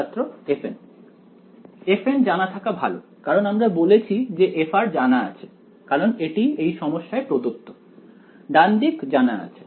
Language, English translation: Bengali, f n had better be known because we said that f r is known is given in the problem its a known right hand side